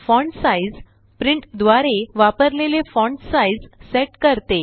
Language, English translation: Marathi, fontsize sets the font size used by print